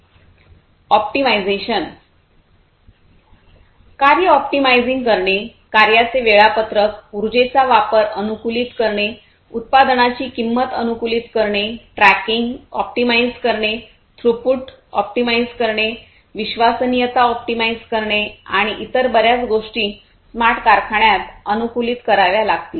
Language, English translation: Marathi, Optimization optimizing the tasks, scheduling of the tasks, optimizing the usage of energy, optimizing the cost of production, optimizing tracking, optimizing throughput, optimizing reliability, and many others many so, many different other things will have to be optimized in a smart factory